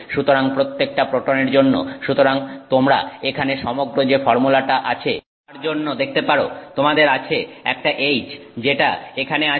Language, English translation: Bengali, So, for every proton, so you can see for this entire formula that is out here, you have 1H that is present here